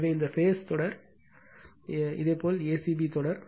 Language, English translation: Tamil, So, this phase sequence is your a c b sequence right